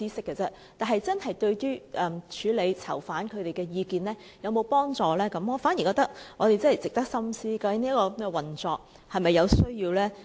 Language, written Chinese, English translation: Cantonese, 至於是否真正有助處理囚犯的意見，我反而覺得值得我們深思，究竟這種運作是否仍有需要？, As regards whether this really can offer any help on handling prisoners opinions I think it worth our contemplation . Should this practice carry on?